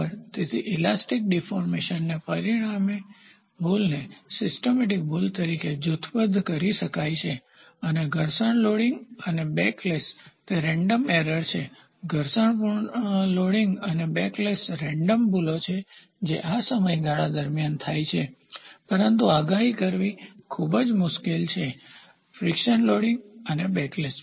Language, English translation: Gujarati, So, the resulting error with forum inertial loading the elastic deformation can be grouped as systemic error and those from friction loading and backlash are random error frictional loading and backlash are random error this happens over a period of time, but it is very hard to predict the friction loading and backlash error